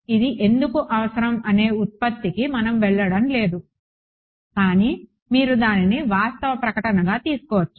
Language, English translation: Telugu, We are not going into the derivation of why this is required, but you can just take it as a statement of fact